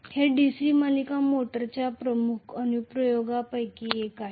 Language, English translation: Marathi, This is one of the major applications of DC series motor